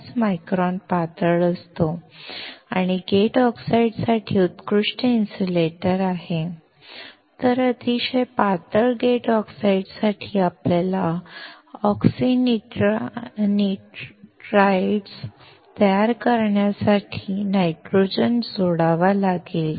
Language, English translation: Marathi, 5 micron thin and is an excellent insulator for gate oxides, while for very thin gate oxides, we may have to add the nitrogen to form oxynitrides